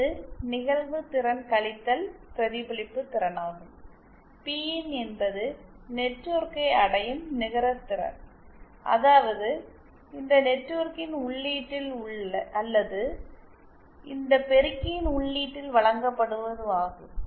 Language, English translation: Tamil, The net power that is reaching the load and P in is the net power that is reaching the network it means that at the input of this network or at the input of this amplifier